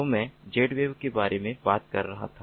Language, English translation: Hindi, so i was talking about z wave